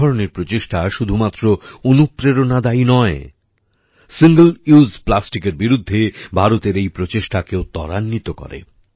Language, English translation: Bengali, Such efforts are not only inspiring, but also lend momentum to India's campaign against single use plastic